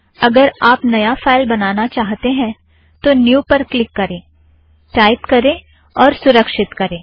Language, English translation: Hindi, If you want to create a file, click new, type and save